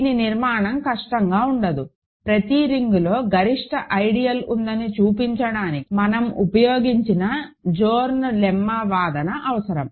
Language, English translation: Telugu, This is a construction that is not difficult, it requires some Zorn’s Lemma argument we have used in showing that there exists a maximal ideal in every ring